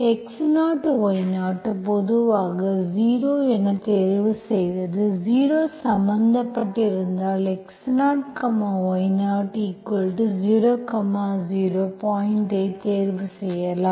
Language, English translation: Tamil, Pick up x0, y0, normally you choose it as 0 to, in your problems if 0, 0 0 is involved, you can choose your point x0, y0 as 0, 0